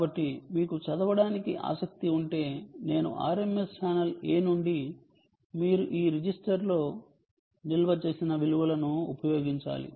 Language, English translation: Telugu, so if you are interested in reading i r m s from channel a, you have to use this register, the values stored in this register